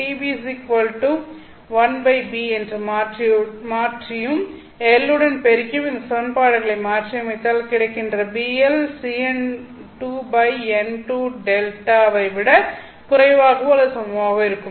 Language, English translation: Tamil, So you can substitute for TB as 1 by B and replace this, you know, and multiply that one by L and rearrange the equation so that you get BL is less than or equal to Cn2 by N1 square into delta